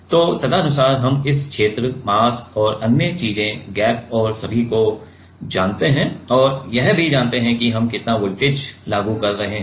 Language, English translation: Hindi, So, accordingly we know this area, mass and other things the gap and all and also we know that how much voltage we are applying